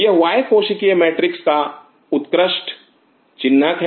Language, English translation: Hindi, It is a very classic signature of extra cellular matrix